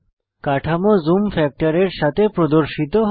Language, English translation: Bengali, The structure appears with the applied zoom factor